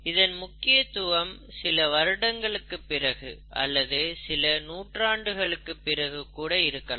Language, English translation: Tamil, Because it has significance over decades or probably even centuries